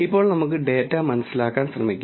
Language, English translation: Malayalam, Now, let us try to understand the data